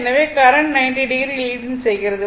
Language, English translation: Tamil, So, current is leading 90 degree